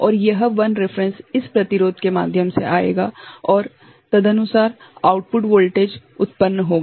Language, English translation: Hindi, And, this I reference will come through this resistance and accordingly the output voltage will be generated